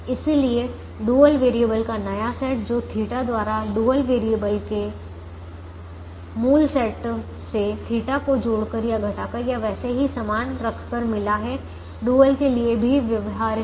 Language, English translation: Hindi, therefore the new set of dual variables which are got from the original set of dual variables by theta adding or subtracting or retaining the theta is also a feasible to the dual